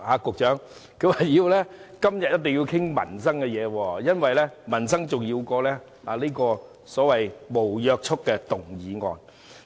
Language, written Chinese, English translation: Cantonese, 局長，他們說今天一定要討論民生議題，因為民生比所謂無約束力的議案重要。, Secretary they insist on discussing livelihood issues today for livelihood issue is more important than a so - called non - binding motion